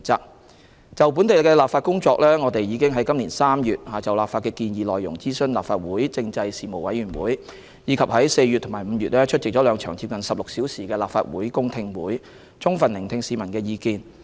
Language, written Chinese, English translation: Cantonese, 關於本地的立法工作，我們已於今年3月就立法的建議內容諮詢立法會政制事務委員會，以及在4月及5月出席兩場接近16小時的立法會公聽會，充分聆聽市民的意見。, With regard to the work of local legislation we consulted the Legislative Council Panel on Constitutional Affairs on the legislative proposals in March this year and attended two public hearings of the Legislative Council lasting nearly 16 hours in April and May . The voices of the people were fully heard